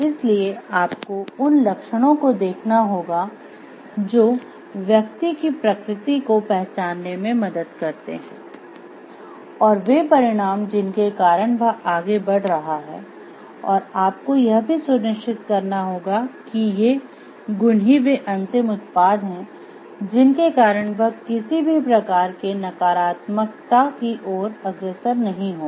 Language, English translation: Hindi, So, the you have to map the traits with that that gives rise to the nature of the person and the outcome that it is leading to and you have to ensure like these are the virtues which end product will be virtuous in nature and will not to lead any only to any negative consequences